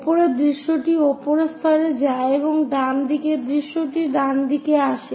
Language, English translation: Bengali, top view goes to top level and right side view comes to right hand side